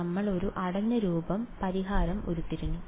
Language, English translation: Malayalam, We derived a closed form solution right